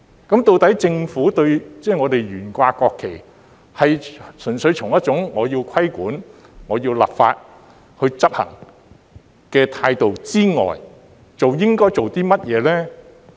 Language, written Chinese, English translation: Cantonese, 究竟政府對於懸掛國旗，在純粹從要規管、要立法執行的態度之外，應該做甚麼呢？, What should the Government do about the display of the national flag other than simply resorting to regulation and law enforcement?